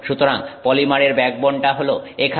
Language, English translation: Bengali, So, backbone of the polymer is here